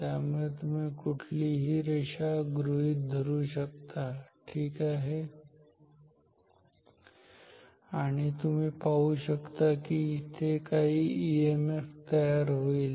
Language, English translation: Marathi, So, you consider any line and you will see that there is some EMF induced